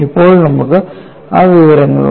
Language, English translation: Malayalam, Now, we have that information